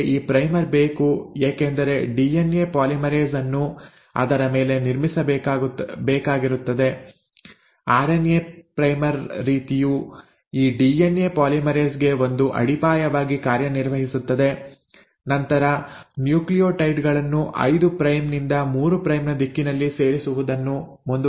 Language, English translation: Kannada, You need this primer because DNA polymerase has to then build upon it, also RNA primer kind of acts as a foundation for this DNA polymerase to then keep on adding the nucleotides in a 5 prime to 3 prime direction